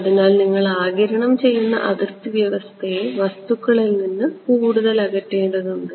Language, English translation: Malayalam, So, you would have to put the absorbing boundary condition further away from the objects